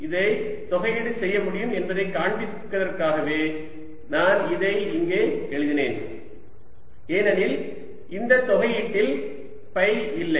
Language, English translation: Tamil, i wrote this explicitly out here just to show that this can be integrated over, because in the integrant there is no phi